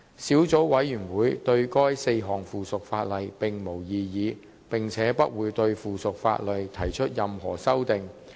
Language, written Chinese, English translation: Cantonese, 小組委員會對該4項附屬法例並無異議，並且不會對附屬法例提出任何修訂。, The Subcommittee has no objection to the four pieces of subsidiary legislation and will not propose any amendments thereto